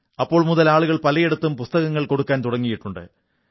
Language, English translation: Malayalam, Since then, people have been offering books at many a place